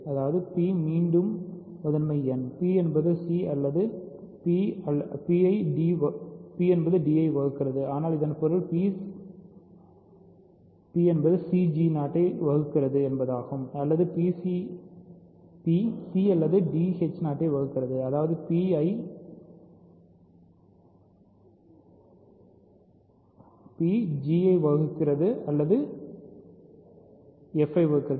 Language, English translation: Tamil, That means, p again prime number; so, p divides c or p divides d, but that means, p divides c g 0 or p divides c or d h 0 ; that means, p divides g or p divides, ok